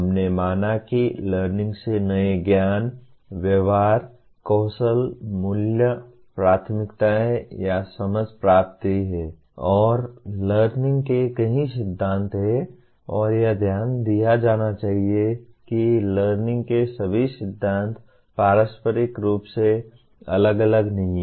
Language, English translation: Hindi, We considered learning is acquiring new knowledge, behavior, skills, values, preferences or understanding and there are several theories of learning and it should be pointed out all the theories of learning are not mutually exclusive